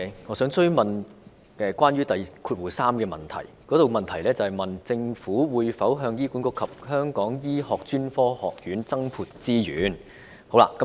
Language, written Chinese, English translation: Cantonese, 我想追問主體質詢第三部分中關於"政府會否向醫管局及醫專增撥資源"的問題。, I wish to follow up part 3 of the main question which is related to whether the Government will allocate additional resources to HA and HKAM